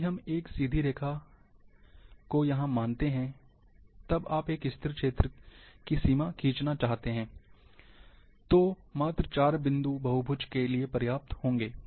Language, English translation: Hindi, If it is a straight line, suppose you want to draw a border, a boundary of an steady area, so just 4 points, would be sufficient for a polygon